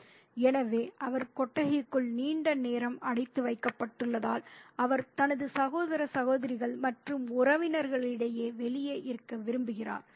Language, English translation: Tamil, So, since he is confined for a long time inside the shed, he wants to be outside amongst his brothers and sisters and cousins